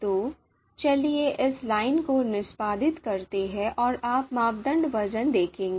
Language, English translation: Hindi, So let us execute this line and you would see the criteria weights